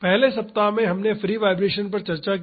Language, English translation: Hindi, In the first week we discussed free vibrations